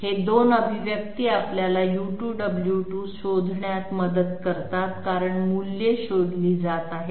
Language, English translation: Marathi, These 2 expressions help us in find out U2 W2 because the Delta values are being found out